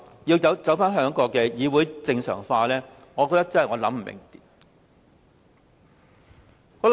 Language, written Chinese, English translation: Cantonese, 所以，當他說要令議會正常化時，我真的想不通。, I thus could not figure it out when he said that he had to let this Council return to its normal state